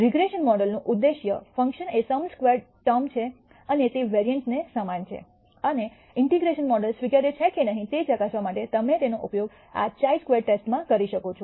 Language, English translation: Gujarati, The objective function of a regression model is the sum squared term and is similar to a variance, and you can use it to this chi square test to test whether the integration model is acceptable or not